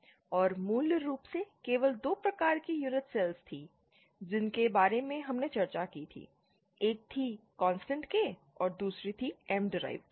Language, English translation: Hindi, And basically they were just 2 types of unit cells that we discussed, one was the constant K and the other was M derived